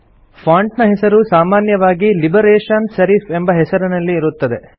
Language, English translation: Kannada, The font name is usually set as Liberation Serif by default